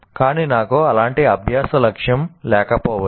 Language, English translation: Telugu, But I may not put such a learning goal